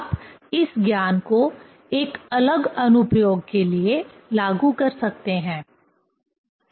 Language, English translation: Hindi, One can apply this knowledge for different application, right